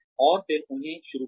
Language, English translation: Hindi, And then, get them started